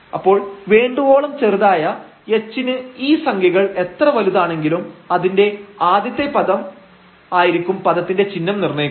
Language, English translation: Malayalam, So, for sufficiently small h the sign of this term here; however, large these numbers are the sign will be determined by the first term which is which one can see here